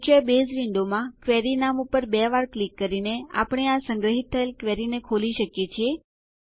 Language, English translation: Gujarati, We can open this saved query by double clicking on the query name in the main Base window